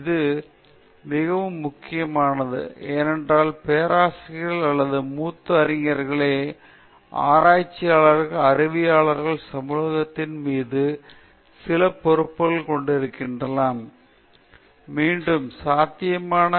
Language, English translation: Tamil, This is again, very important, because as professors or as senior scholars, researchers might have certain responsibilities towards the scholarly community, and one of such responsibilities is towards oneÕs students